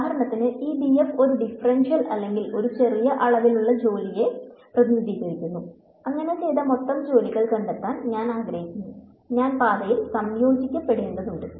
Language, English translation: Malayalam, So, for example, this “df” could represent a differential or a small amount of work done and I want to find out the total work done so, I have to integrate along the path